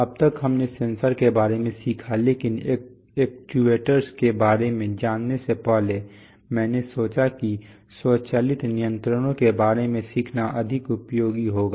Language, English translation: Hindi, So far we have learnt about sensors, but before learning about actuators, I thought that will be more useful to learn about automatic controls